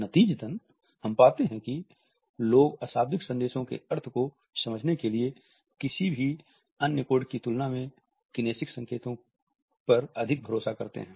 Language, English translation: Hindi, Consequently, we find that people rely more on kinesic cues than any other code to understand meanings of nonverbal messages